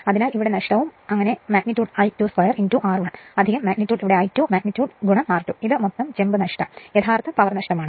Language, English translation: Malayalam, So, here loss and the total loss is so, magnitude that I 2 square into R 1 plus your magnitude here I 2 magnitude into R 2, this is a total copper loss right real power loss